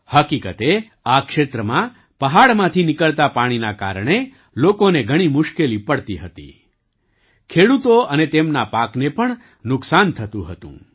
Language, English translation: Gujarati, In fact, in this area, people had a lot of problems because of the water flowing down from the mountain; farmers and their crops also suffered losses